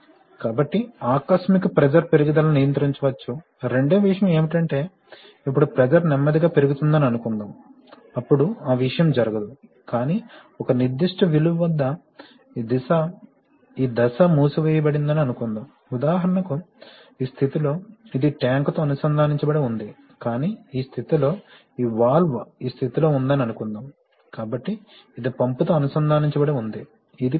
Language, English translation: Telugu, So therefore, sudden pressure rises can be controlled, second thing is that if there is now the pressure, suppose the pressure rises slowly then that phenomenon will not occur, but then at a certain value, suppose this phase sealed, for example in this position it is connected to tank, but in this position, suppose this is a, this valve is in this position, therefore, this is connected to the pump, this is the pump put